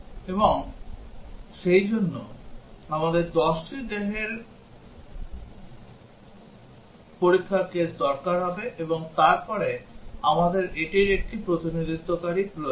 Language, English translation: Bengali, And therefore, we would need 10 test cases and then we need one which is a representative of this